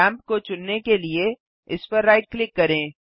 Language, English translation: Hindi, Right click the lamp to select it